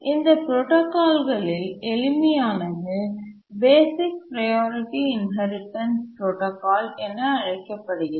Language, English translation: Tamil, The simplest of these protocols is called as the Basic Priority Inheritance Protocol